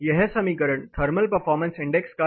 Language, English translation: Hindi, The next indicator is thermal performance index